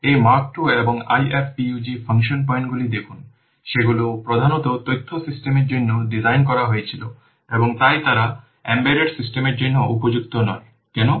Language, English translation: Bengali, See this MIRV 2 and IFPUG function points they were mainly designed for information systems and hence they are not suitable for embedded systems